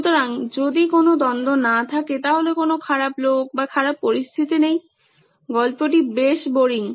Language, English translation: Bengali, So if there is no conflict, there is no bad guy or bad situation, the story is pretty boring